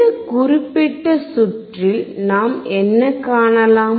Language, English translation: Tamil, What we can see in this particular circuit